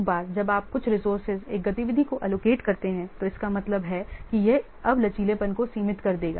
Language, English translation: Hindi, Once you have allocated some resource to one activity means it will now limit the flexibility